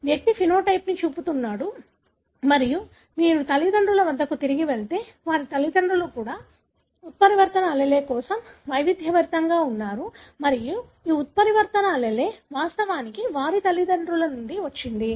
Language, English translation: Telugu, The individual is showing the phenotype and if you go back to the parents, their parents too were heterozygous for the mutant allele and this mutant allele actually came from their parents